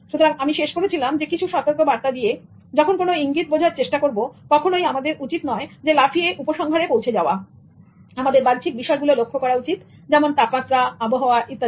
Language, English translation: Bengali, So I ended with some caution while interpreting this non verbal cues that one should not jump into conclusions and one should always consider other external factors like temperature, weather, etc